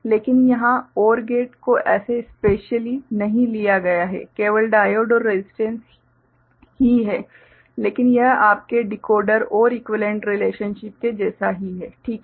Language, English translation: Hindi, So, here we do not see a you know, OR gate as such specifially put, only diode and resistance, but this is also within your Decoder OR equivalent relationship, fine